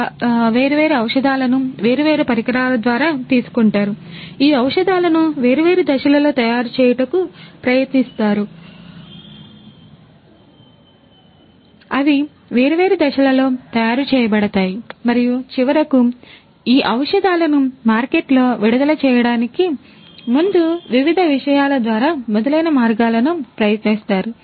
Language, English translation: Telugu, They take these different drugs through different equipments, these drugs are tried out in different phases you know they are manufactured in different phases and finally, tried out in through different subjects and so on before these drugs are released in the market